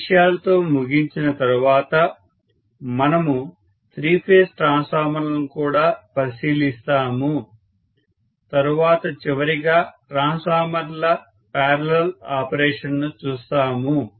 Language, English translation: Telugu, After finishing with these things, we will also look at three phase transformers, then last but not the least will look at parallel operation of transformers